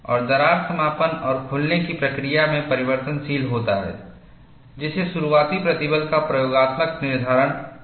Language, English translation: Hindi, And there is a continuous transition from closed to open, making experimental determination of the opening stress difficult